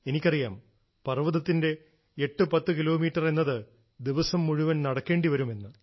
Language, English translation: Malayalam, I know that 810 kilometres in the hills mean consuming an entire day